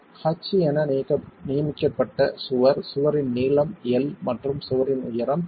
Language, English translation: Tamil, L length of the wall is L and height of the wall is H